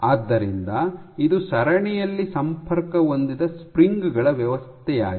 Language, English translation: Kannada, So, this is a system of springs connected in series